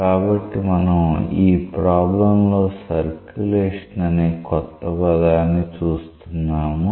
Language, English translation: Telugu, So, we have come across at new terminology in this problem called as circulation